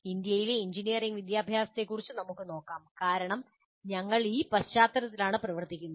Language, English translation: Malayalam, Now let us look at engineering education in India because we are operating in that context